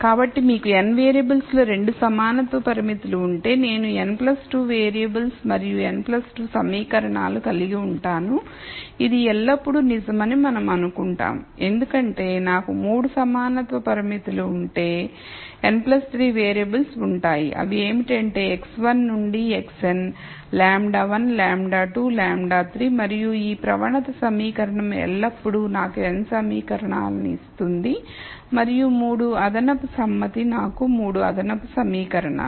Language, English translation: Telugu, So, if you have 2 equality constraints in n variables I will have n plus 2 variables and n plus 2 equations and we will always find this to be true because if I had 3 equality constraints, I will have n plus 3 variables which would be x 1 to x n lambda 1, lambda 2, lambda 3 and this gradient equation will always give me n equations and the 3 extra consent would have given me the 3 extra equations